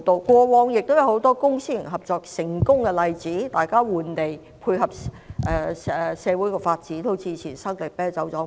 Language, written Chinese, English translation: Cantonese, 過往也有很多公私營合作的成功例子，大家換地配合社會發展，例如搬遷生力啤酒廠。, There were also many successful examples of public - private partnership in the past where sites were exchanged to facilitate social development . One of them was the relocation of San Miguel Brewery